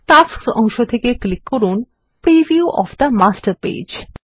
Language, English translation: Bengali, In the Tasks pane, click on the preview of the Master Page